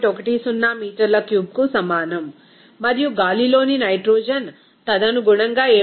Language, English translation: Telugu, 10 meter cube and nitrogen in air it will be you know that 7